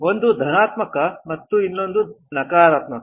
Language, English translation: Kannada, One is positive and the other one is negative